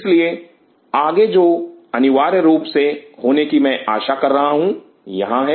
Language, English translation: Hindi, So, essentially what I will be expecting next to happen is this here